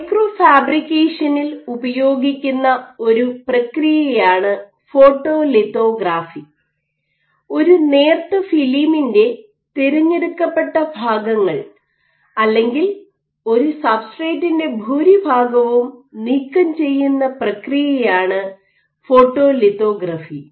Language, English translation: Malayalam, So, photolithography, this is a process used in micro fabrication which are to selectively remove parts of a thin film or the bulk of a substrate